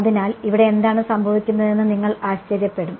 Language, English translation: Malayalam, So, you wonder what is going on over here